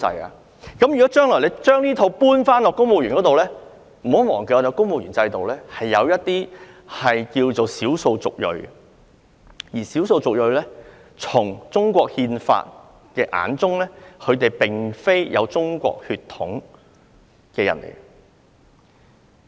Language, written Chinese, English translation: Cantonese, 如果政府將來要求高級公務員宣誓，不要忘記，公務員制度下有少數族裔人士，但根據中國憲法，他們並非有中國血統的人。, If the Government asks senior civil servants to take oaths in future it should not be forgotten that there are ethnic minorities under the civil service system . They are not people of Chinese origin according to the Constitution of China